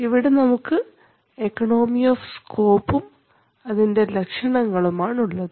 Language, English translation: Malayalam, So here we have the economy of scope and what are its features, see competition